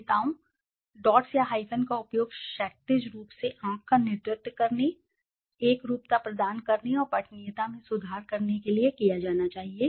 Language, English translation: Hindi, Leaders, dots or hyphens should be used to lead the eye horizontally, impart uniformity and improve readability